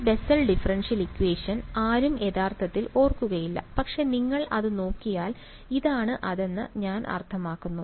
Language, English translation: Malayalam, This Bessel differential equation no one will actually remember, but yeah I mean if you look it up this is what it is